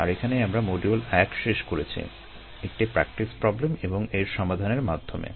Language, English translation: Bengali, that is where we finished up module one with a practice problem and a solution to that